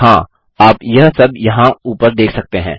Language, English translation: Hindi, Yes, you can see it all up here